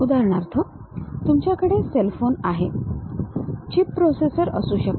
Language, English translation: Marathi, For example, like you have a cell phone; there might be a chip processor